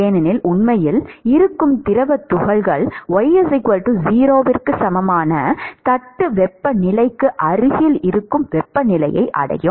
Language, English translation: Tamil, Because the fluid particles which are actually, let us say well above y equal to 0 would also reach temperatures which is close to the plate temperature